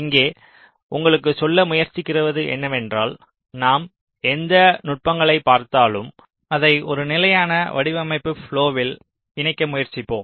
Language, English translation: Tamil, ok, so here what we are trying to tell you is that whatever techniques we have looked at, let us try to combine it in a consistent design flow